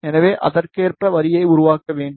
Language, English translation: Tamil, So, we need to make the line accordingly